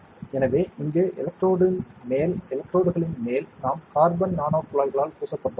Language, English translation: Tamil, So, on top of the electrode here; on top of the electrodes we have coated with carbon nanotubes